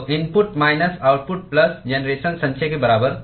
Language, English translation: Hindi, So input minus output plus generation equal to accumulation